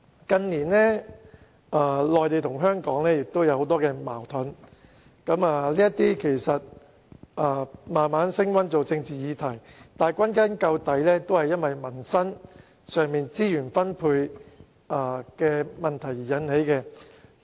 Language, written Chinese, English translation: Cantonese, 近年內地與香港之間出現很多矛盾，這些矛盾更慢慢升溫變成政治議題，但歸根究底與民生資源分配有關。, In recent years many conflicts arising between the Mainland and Hong Kong have gradually intensified and turned into political issues . In a nutshell these conflicts boil down to the distribution of resources for peoples living